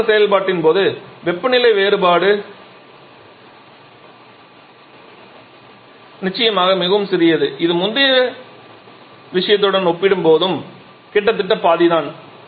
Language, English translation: Tamil, Now what is happening here the temperature difference during the phase change operation is definitely much smaller it is almost half compared to the previous case